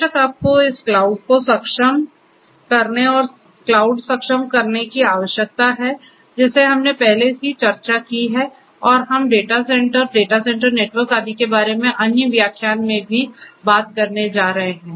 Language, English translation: Hindi, Of course, you need to have this cloud enablement and cloud enablement is, what we have already discussed earlier and we have we are also going to talk about data centre data centre networks and so on in another lecture